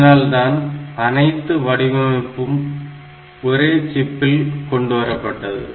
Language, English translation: Tamil, So, all these components they are designed in a single chip